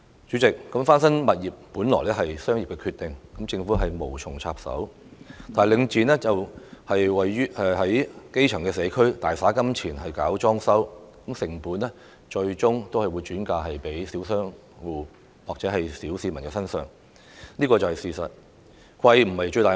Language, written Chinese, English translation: Cantonese, 主席，翻新物業本屬商業決定，政府無從插手，唯領展在基層社區大灑金錢搞裝修，最終把成本轉嫁小商戶和小市民身上，這是事實。, President the renovation of properties is basically a commercial decision and the Government is not in a position to intervene in it . But it is a fact that Link REIT has spent colossal sums of money carrying out renovation in grass - roots communities and ultimately the costs are shifted onto the small shop operators and members of the general public